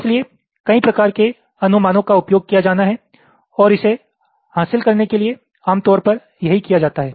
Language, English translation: Hindi, so a number of heuristics has to be used, and that is what is done typically to achieve this